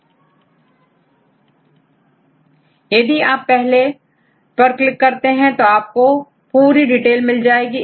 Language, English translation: Hindi, Then if you click on this first one right then it will show the details right fine